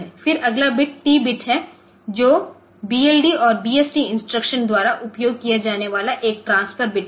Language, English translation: Hindi, Then the next bit is the T bit which is a transfer bit used by BLD and BST instructions